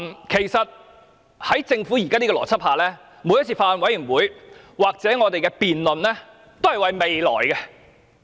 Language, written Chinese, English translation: Cantonese, 其實，在政府現時的邏輯下，每次法案委員會或立法會的辯論，都是為了未來。, In fact following the logic of the Government today every debate of the Bills Committee or the Legislative Council is for the future